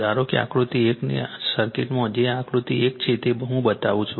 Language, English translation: Gujarati, Suppose in the circuit of figure 1 that is this is figure 1 I show you